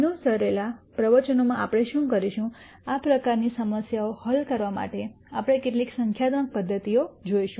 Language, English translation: Gujarati, What we will do in the lectures that follow, we will look at some numerical methods for solving these types of problems